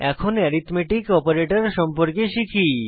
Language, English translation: Bengali, Now, let us learn about Relational Operators